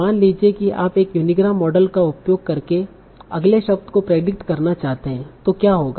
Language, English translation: Hindi, So suppose you want to predict the next word using a unigram model, what would happen